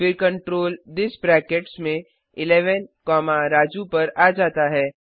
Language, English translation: Hindi, Then the control comes to this within brackets 11 comma Raju